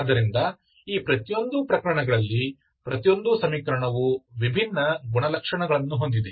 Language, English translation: Kannada, So in each of these cases, each equation is having different characteristics